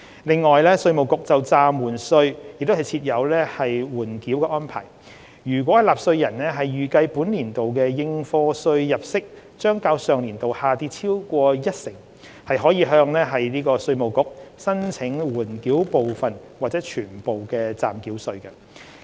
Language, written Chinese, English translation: Cantonese, 此外，稅務局就暫繳稅亦設有緩繳安排，若納稅人預計本年度的應課稅入息將較上年度下跌超過一成，可向稅務局申請緩繳部分或全數暫繳稅。, Besides IRD also provides for a holding over arrangement of provisional tax . Taxpayers anticipating a decrease of more than 10 % in their net chargeable income for the current YA may apply to IRD for holding over of the whole or part of the provisional tax